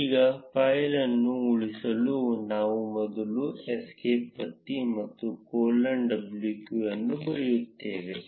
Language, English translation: Kannada, Now to save the file, we first press escape and write colon w q